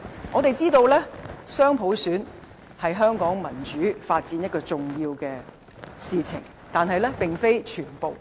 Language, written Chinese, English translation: Cantonese, 我們知道雙普選是香港民主發展的重要事情，但並非全部。, We all know that dual universal suffrage is essential to Hong Kongs democratic development . But it is not everything